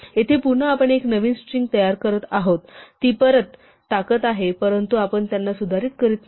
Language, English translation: Marathi, Here again we are creating a new string and putting it back, but we are not modifying it